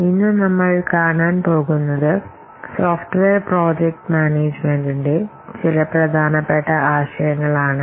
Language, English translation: Malayalam, Today we will see some important concepts of software project management